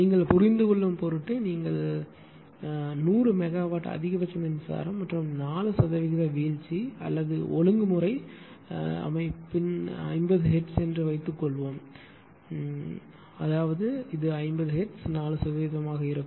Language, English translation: Tamil, Suppose you are just ah for the sake of ah understanding suppose you are ah power generating maximum capacity is 100 megawatt and 4 percent droop or regulation means suppose your system is your ah 50 hertz; that means, it will be your 50 hertz into 4 percent